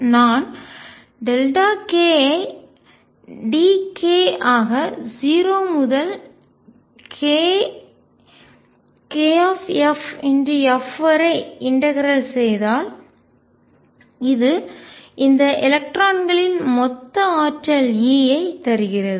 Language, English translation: Tamil, And if I integrate delta k being d k from 0 to k f this gives me total energy e of all these electrons